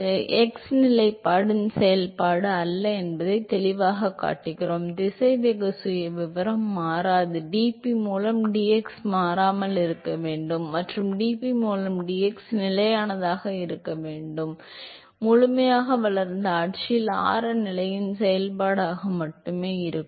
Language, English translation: Tamil, So, here clearly we show that it is not a function of the x position because the velocity profile does not change and so dp by dx has to be constant and dp by dx has to be constant for a steady flow and therefore, it has to be a function of only the radial position in the fully developed regime